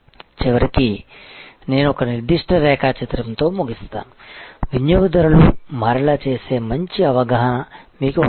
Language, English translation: Telugu, So, ultimately all end with particular diagram that you have to have good understanding that what makes customer switch